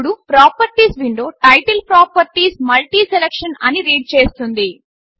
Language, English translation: Telugu, Now, the Properties window title reads as Properties MultiSelection